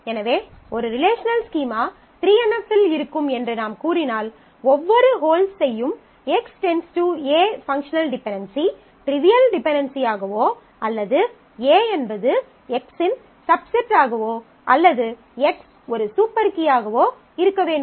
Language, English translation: Tamil, So, we will say that a relational schema is in 3 NF if for every functional dependency X determining a that holds on this schema either it is a trivial dependency which is A is a subset of X or X is a super key